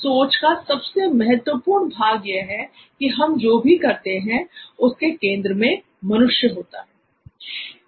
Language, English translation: Hindi, The most important part of this type of thinking is that the human is right at the centre of whatever we do here